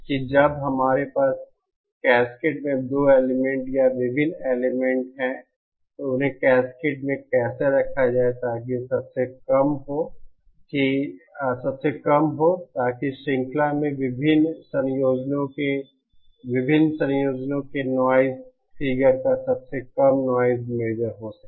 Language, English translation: Hindi, That is when we have 2 elements or various elements in cascade, how to put them in cascade so that the lowest so that the chain will have the lowest noise measure of the various combinations noise figure of the various combinations possible